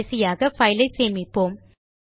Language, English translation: Tamil, We will finally save the file